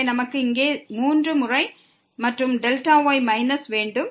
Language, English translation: Tamil, So, we will have here 3 times and the delta minus